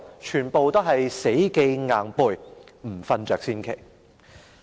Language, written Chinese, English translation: Cantonese, 全部要死記硬背，不睡着才奇怪。, All such information is obtained by rote learning no wonder people would fall asleep